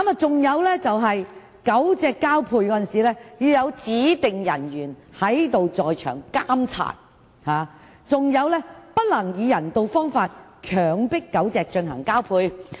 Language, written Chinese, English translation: Cantonese, 此外，狗隻交配時須由指定人員在場監察，並且不能以不人道方法強迫狗隻交配。, Besides during mating the dogs should be monitored by a designated person and forced mating using inhumane ways should not be allowed